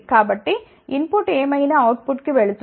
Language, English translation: Telugu, So, whatever is the input goes to the output